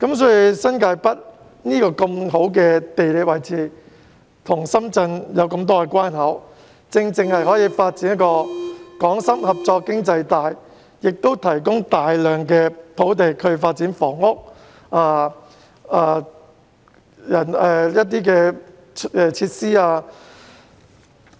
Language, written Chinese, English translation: Cantonese, 新界北處於很好的地理位置，設了多個來往深圳的關口，正好發展港深合作經濟帶，也可以提供大量土地發展房屋和設施。, With an excellent geographical location and a number of boundary control points connecting to Shenzhen the New Territories North is suitable for developing a Hong Kong - Shenzhen economic cooperation belt . Moreover there is ample land available for housing and provision of other facilities